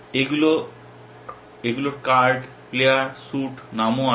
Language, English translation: Bengali, These also has card, player, suit, name